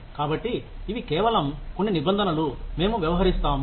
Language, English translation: Telugu, So, these are just some terms, that we will deal with